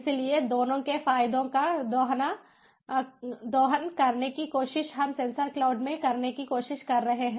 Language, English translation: Hindi, so trying to harness the advantages of both is what we try to do in sensor cloud